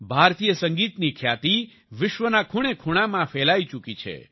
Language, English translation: Gujarati, The fame of Indian music has spread to every corner of the world